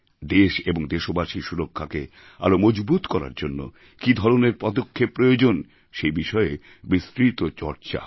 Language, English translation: Bengali, What kind of steps should be taken to strengthen the security of the country and that of the countrymen, was discussed in detail